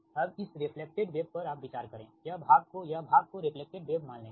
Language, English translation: Hindi, now you consider the reflected wave, will consider this reflected wave part, this part, this part right reflected wave